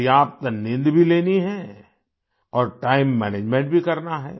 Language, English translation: Hindi, Get adequate sleep and be mindful of time management